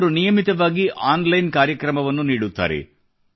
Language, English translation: Kannada, He regularly conducts online programmes